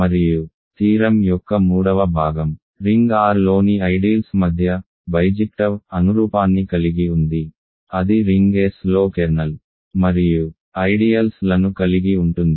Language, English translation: Telugu, And the third part of the theorem was we had a bijective correspondence between ideals in the ring R that contain the kernel and ideals in the ring S ok